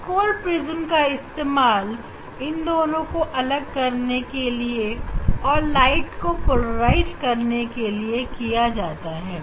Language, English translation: Hindi, that is nickel prism in used to separate this to polarize the light and the polarizer just we tell the polarize analyzer